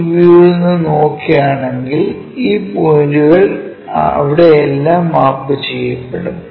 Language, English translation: Malayalam, If you are saying these points will be mapped all the way there